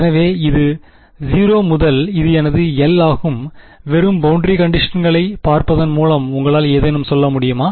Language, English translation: Tamil, So, this is my 0 and this is my l just by looking at the boundary conditions can you say something about you know which terms will be 0